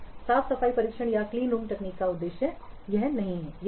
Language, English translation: Hindi, This is what is the objective of clean room testing or clean room technique